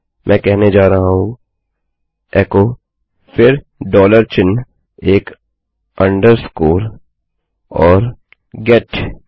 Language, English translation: Hindi, Im going to say echo , then a dollar sign, an underscore and a get